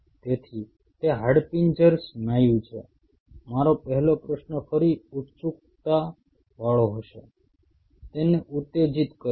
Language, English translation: Gujarati, So, it is skeletal muscle my first question again will be curious stimulate it